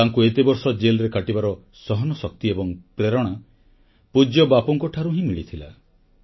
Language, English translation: Odia, He derivedinspiration and endurancefor spending many years in jail from Bapu himself